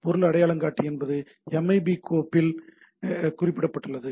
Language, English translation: Tamil, So, what is the object identifier is specified in a MIB file